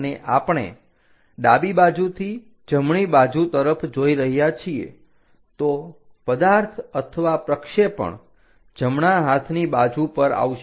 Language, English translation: Gujarati, And we are looking from left side towards right side so, object or the projection will come on the right hand side